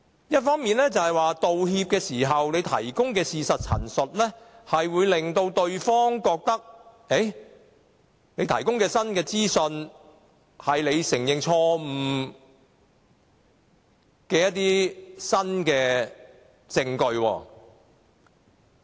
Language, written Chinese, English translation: Cantonese, 一方面，道歉時所提供的事實陳述，會令對方覺得有了新資訊作為承認錯誤的新證據。, On the one hand parties to disputes may be encouraged to take a statement of fact conveyed in an apology as a new piece of information and use it as new evidence for admission of fault